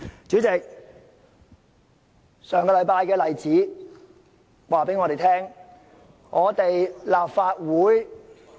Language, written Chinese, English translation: Cantonese, 主席，上星期的例子告訴我們，立法會......, President the example last week serves to tell us that the Legislative Council